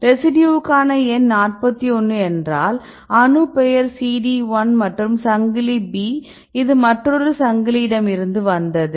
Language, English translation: Tamil, This residue for number 41, this atom name CD 1 and chain B this is from the one chain right and this is from the another chain right